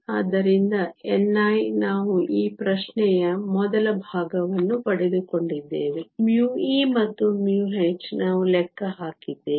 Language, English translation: Kannada, So, n i we got in first part of this question, mu e and mu h we just calculated